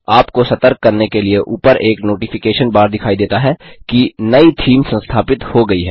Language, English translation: Hindi, A Notification bar will appear at the top to alert you that a new theme is installed